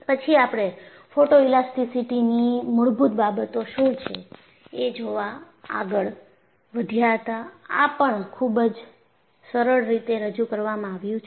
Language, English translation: Gujarati, Then, we moved on to look at what is the basics of photoelasticity; it is very simple fashion